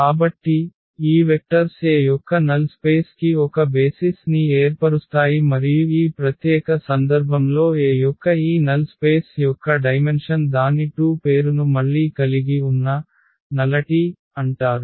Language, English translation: Telugu, So, these vectors form a basis for the null space of A and the dimension of this null space of A in this particular case its 2 which is again has a name is called nullity